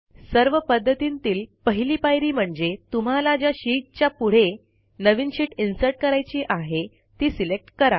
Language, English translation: Marathi, The first step for all of the methods is to select the sheet next to which the new sheet will be inserted